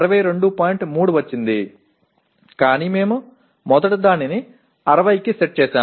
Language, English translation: Telugu, 3 but the target we initially set it up for 60